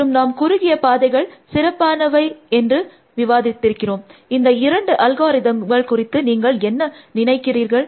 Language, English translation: Tamil, And we assumed that shorter paths are better, what do you think about these two algorithms